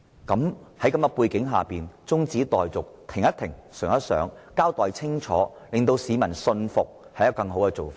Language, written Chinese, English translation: Cantonese, 在這背景下，現時中止待續以便停一停，想一想，然後清楚交代令市民信服，可能是更好的做法。, Against this background the present adjournment motion may be a better alternative so that the Government can pause and think before giving a clear account to convince members of the public